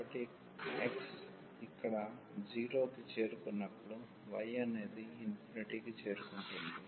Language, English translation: Telugu, So, x, when x was approaching to 0 here, the y is approaching to infinity